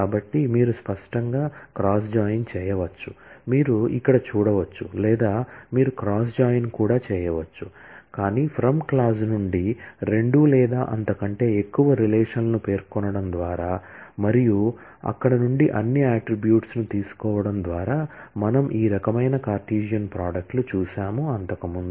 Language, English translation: Telugu, So, you could explicitly do a cross join, which you can see here or you can implicitly also do a cross join, but by specifying two or more relations in from clause, and taking all the attributes from there, we have seen these kind of Cartesian products earlier